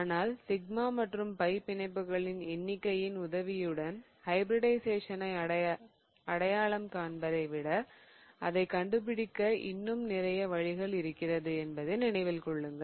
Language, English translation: Tamil, Now, this was a simple trick but remember there is much more to identifying the hybridization than just identifying it with the help of the number of sigma and pi bonds